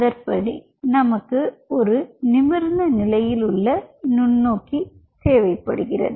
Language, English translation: Tamil, you will be needing an upright microscope